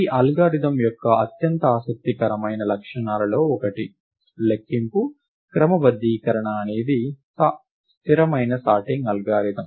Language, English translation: Telugu, One of the most interesting properties of this algorithm is that, counting sort is a stable sorting algorithm